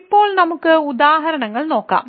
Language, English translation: Malayalam, So, now, let us look at examples